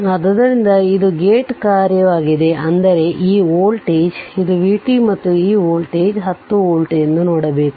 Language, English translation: Kannada, So, it is a gate function so at; that means, you have to see that this voltage this is v t and this voltage is 10 volt right